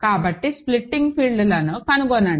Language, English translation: Telugu, So, find the splitting fields